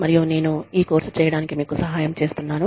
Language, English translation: Telugu, And, i have been helping you, with this course